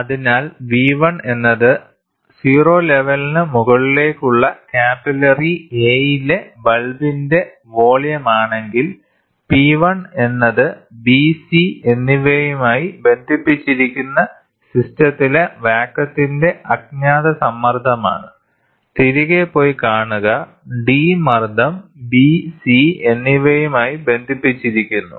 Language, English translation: Malayalam, So, if V is the volume of the bulb in capillary A, above the level O, P 1 is the unknown pressure of the gas in the system connected to B and C to go back and see connected to D pressure B and C